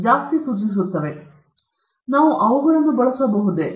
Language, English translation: Kannada, So, can we use them